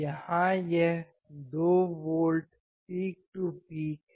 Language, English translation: Hindi, Here it is 2 volts peak to peak right